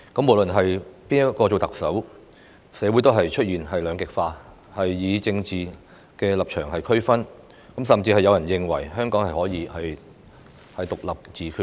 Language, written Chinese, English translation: Cantonese, 無論誰人當特首，社會同樣出現以政治立場區分的兩極化現象，甚至有人認為香港可以獨立自決。, Whoever is the Chief Executive there is polarization of two groups of different political stances in society . Some even think that Hong Kong should be allowed independence and self - determination